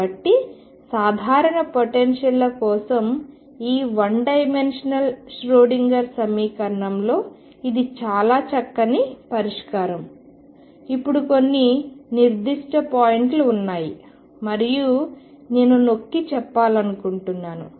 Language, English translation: Telugu, So, this is pretty much what solve in this one dimensional Schrodinger equation for general potentials is now there are some certain points and that is what I want to emphasize